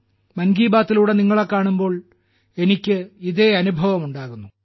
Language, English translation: Malayalam, This is exactly what I feel after meeting you through 'Mann Ki Baat'